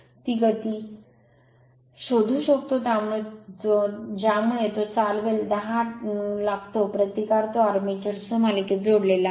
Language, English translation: Marathi, You have to find the speed at which it will run it take 10 ohm resistance is connected in series with it is armature